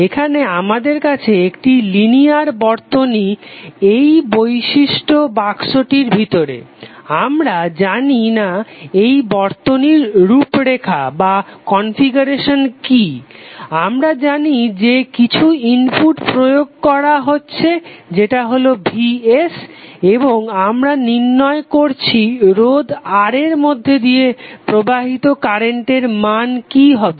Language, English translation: Bengali, Here we have linear circuit which is inside this particular box we do not know what is the configuration of that circuit we know that some input is being applied that Vs and we are finding out what is the value of current flowing through the resistor R